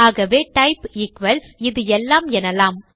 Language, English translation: Tamil, So we can say type equals all of this